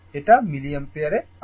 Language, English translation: Bengali, It is in milliampere